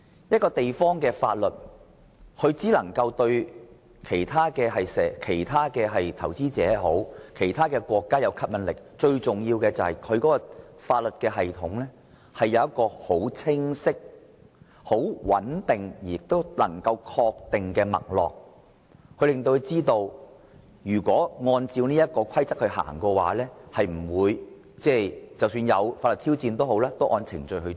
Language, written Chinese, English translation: Cantonese, 一個地方的法律系統對其他投資者或國家具吸引力，最重要的原因是其法律系統有清晰、穩定及確定的脈絡，讓他們知道只要按照規則辦事，即使面對法律挑戰亦會按程序處理。, The most important reason why the legal system of a place has appeal to other investors or countries is that its clarity stability and certainty can let them know that as long as they do things according to the law any legal challenge they face will also be handled in accordance with procedures